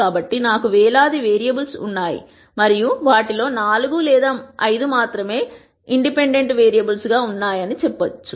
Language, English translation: Telugu, So, if let us say I have thousands of variables and of those there are only 4 or 5 that are independent